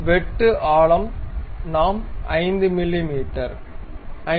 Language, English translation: Tamil, The depth of the cut we can have something like 5 mm, 5